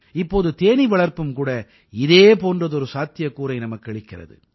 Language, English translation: Tamil, Now bee farming is emerging as a similar alternative